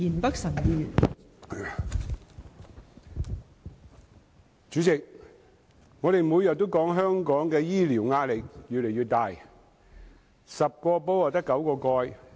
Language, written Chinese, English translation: Cantonese, 代理主席，我們每天都說，香港的醫療壓力越來越大 ，10 個煲只有9個蓋。, Deputy President every day we will say that the pressure on Hong Kongs health care services is getting more and more intense as demand out numbers supply